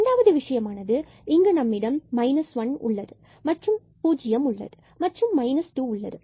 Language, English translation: Tamil, The second point we have here minus 1, we have 0 there and we have minus 2 there